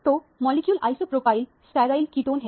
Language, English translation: Hindi, So, the molecule is isopropyl sterile ketone